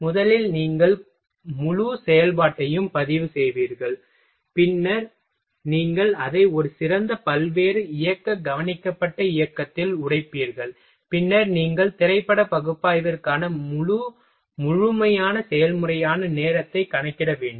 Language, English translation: Tamil, That first you will record whole operation, then you will break it in a better various motion observed motion, and then you will have to calculate time that is the whole complete process for the film analysis